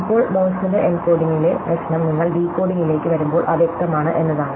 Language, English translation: Malayalam, Now, the problem with MorseÕs encoding is that it is ambiguous, when you come to decoding